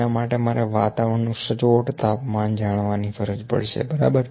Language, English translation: Gujarati, For that, I need to do know the exact temperature of the environment, ok